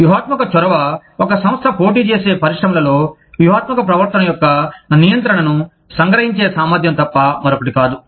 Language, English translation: Telugu, Strategic initiative, is nothing but, the ability to capture control of strategic behavior, in the industries in which, a firm competes